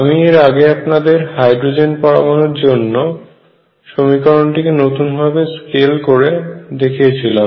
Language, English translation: Bengali, Step 2 after rescaling the equation appropriately, I gave you the example of rescaling the hydrogen atom equation